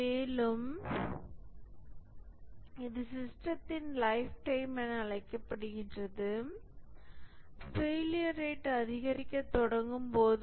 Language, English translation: Tamil, And this is called as the lifetime of the system when the failure rate starts to increase